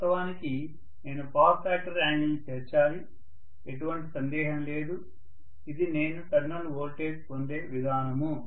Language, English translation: Telugu, Of course I have to include the power factor angle, no doubt, this is how I am going to get terminal voltage